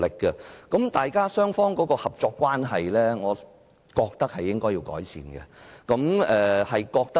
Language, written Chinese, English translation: Cantonese, 我覺得雙方的合作關係是需要改善的。, In my view the relationship of cooperation between the two parties needs improvement